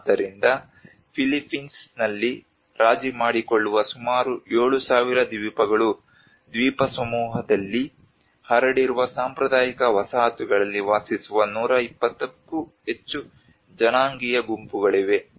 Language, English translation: Kannada, So about 7,000 islands that compromise the Philippines there are over 120 ethnolinguistic groups that continue to inhabit traditional settlements spread out over the Archipelago